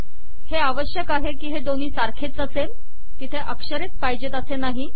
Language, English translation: Marathi, Its only that these have to be identical, these need not be characters